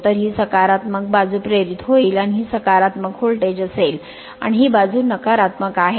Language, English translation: Marathi, So, this will be positive side induced and this will be the your positive voltage will induced and this side is negative right